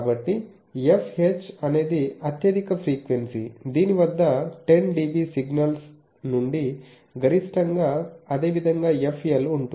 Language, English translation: Telugu, So, f H is a highest frequency at which 10 dB from the maximum of the signal is there signal similarly f L